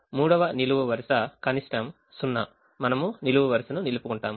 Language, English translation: Telugu, third column: the minimum is zero, we retain the column